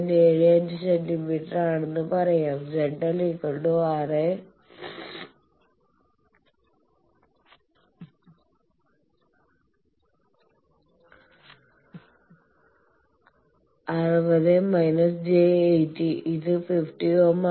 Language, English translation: Malayalam, 75 centimeter, Z L is 60 minus j 80 ohm this is 50 ohm